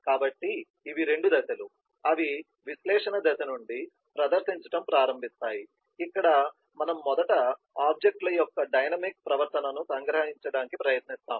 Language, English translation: Telugu, so these are the two places, they start featuring from the analysis phase, where we first try to capture the dynamic behaviour of the objects